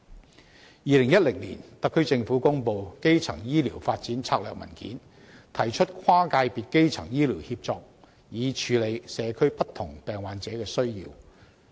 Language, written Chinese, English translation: Cantonese, 在2010年，特區政府公布《香港的基層醫療發展策略文件》，提升跨界別基層醫療協作，以處理社區不同病患者的需要。, In 2010 the SAR Government announced the Primary Care Development in Hong Kong Strategy Document with the intention of enhancing cross - sector coordination in primary health care to address the various needs of patients in communities